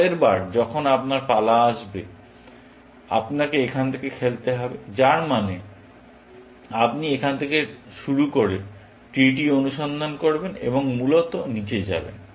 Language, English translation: Bengali, Next time, when your turn comes, you will have to play from here, which means, you will be searching the tree, starting from here, and going down, essentially